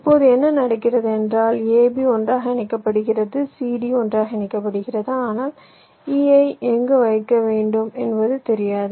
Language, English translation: Tamil, now what happens is that this a, b gets connected together, c, d gets connected together, but you do not have any where to place e